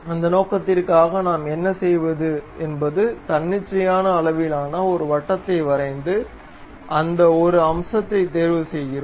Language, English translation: Tamil, For that purpose what we do is we go draw a circle of arbitrary size and pick that one go to features